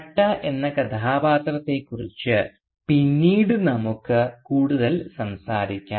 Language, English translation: Malayalam, Indeed when the character Bhatta, and we will talk about Bhatta more later